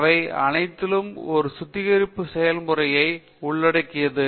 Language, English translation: Tamil, So, all these involve some kind of a refining process